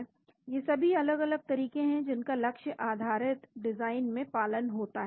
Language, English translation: Hindi, So, these are all different approaches one follows in the target based design